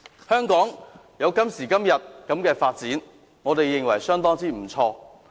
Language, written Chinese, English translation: Cantonese, 香港有今時今日的發展，我認為相當不錯。, In my view it is quite an achievement that Hong Kong has developed to where it is today